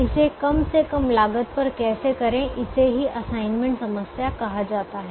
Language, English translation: Hindi, how to do that at minimum cost is called the assignment problem